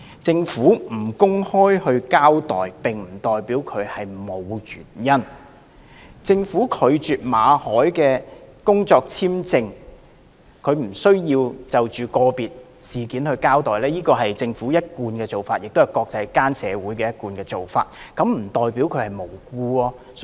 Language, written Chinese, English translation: Cantonese, 政府不公開交代並不代表沒有原因；政府拒絕為馬凱先生的工作簽證續期而不就個別事件交代，是政府的一貫做法，亦是國際間的一貫做法，並不代表這就是"無故拒絕"。, The Governments refusal to give an open account does not mean there is no reason at all . It is indeed an established practice of the Government not to comment on this individual case concerning the refusal to renew the work visa of Mr Victor MALLET which is also an established practice of the international community . This nonetheless does not mean that the refusal was made for no reason